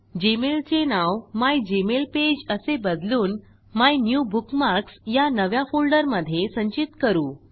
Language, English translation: Marathi, Lets change the name of gmail to mygmailpage and store it in a new folder named MyNewBookmarks